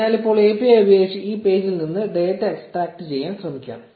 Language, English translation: Malayalam, So, now let us try to extract data from this page using the API